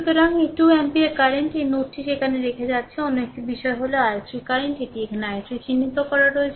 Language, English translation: Bengali, So, this 2 ampere current is you are leaving this node right there another thing is that that i 3 current this is that i 3 is marked here